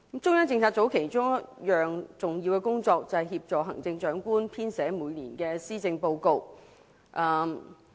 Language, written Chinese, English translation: Cantonese, 中央政策組其中一項重要工作，就是協助行政長官編寫每年的施政報告。, One of its major tasks is to assist the Chief Executive in drafting the annual policy address